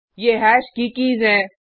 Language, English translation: Hindi, These are the keys of hash